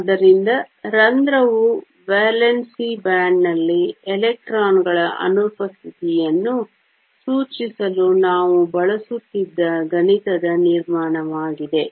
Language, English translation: Kannada, So, hole is nothing but a mathematical construct that we used to denote the absence of electrons in the valence band